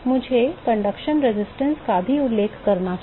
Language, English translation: Hindi, I should also mention conduction resistance